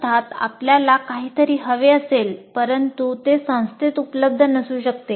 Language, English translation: Marathi, Of course, you may want something but it may or may not be available by the institute